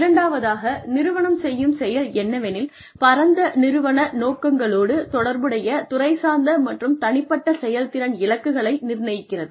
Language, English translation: Tamil, The second thing that, an organization does is, it sets departmental and individual performance targets, that are related to wider organizational objectives